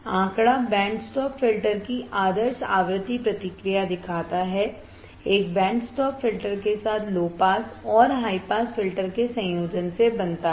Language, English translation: Hindi, The figure shows ideal frequency response of band stop filter, with a band stop filter is formed by combination of low pass and high pass filters